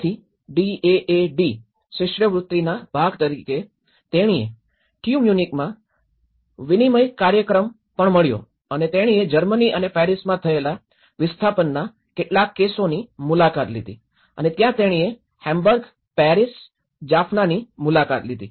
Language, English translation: Gujarati, So, as a part of the DAAD scholarship, she also got an exchange program in Tu Munich and she have visited some of the cases of the displacement cases in the Germany as well and Paris and where she visited all these in Hamburg, Paris, Jaffna